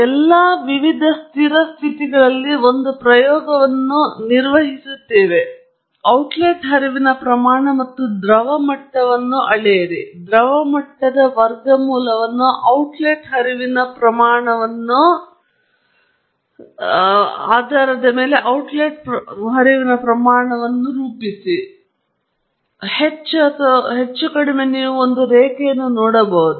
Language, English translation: Kannada, All you have to do is perform an experiment at different steady states, measure the outlet flow rate and the liquid level, plot the outlet flow rate verses the square root of the liquid level; you should see more or less a straight line